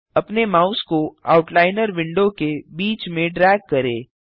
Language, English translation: Hindi, Drag your mouse to the middle of the Outliner window